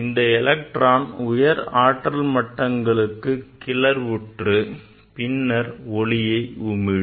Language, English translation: Tamil, This electron generally it is exited to the higher energy state and higher energy state and it produce the light